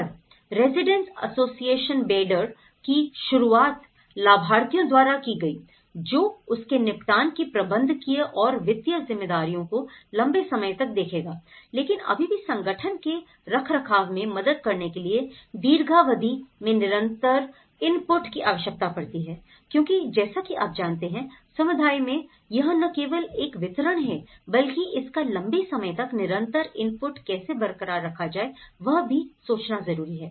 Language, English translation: Hindi, And also a Residents Association Beyder was started by the beneficiaries to see the managerial and financial responsibilities of the settlement, in the long run, aspect but then still they need the sustained input over the long term to help maintain the organization of the community and this has actually you know, why it’s not only a delivery but one has to look at the long term input, how this could be sustained